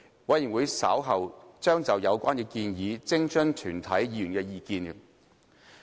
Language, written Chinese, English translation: Cantonese, 委員會稍後將就有關建議徵詢全體議員的意見。, The Committee will consult all Members on relevant proposals